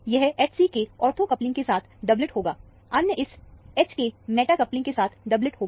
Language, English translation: Hindi, It will be a doublet with the ortho coupling with H c; another doublet with the meta coupling with this H